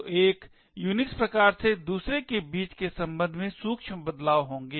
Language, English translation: Hindi, So, there will be subtle variations between one Unix flavour with respect to another